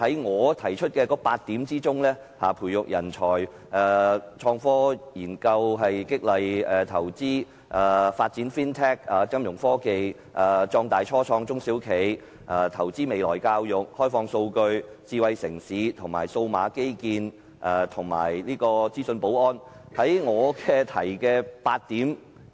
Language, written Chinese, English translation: Cantonese, 我提出8點，包括培育人才、創科研究、激勵投資、發展金融科技、壯大初創中小企、投資未來教育、開放數據、智慧城市、數碼基建及資訊保安。, I put forward eight points including nurturing talent innovation and technology research stimulating investment developing financial technologies Fintech expanding start - up small and medium enterprises SMEs investing in future education opening up data smart city digital infrastructure and information security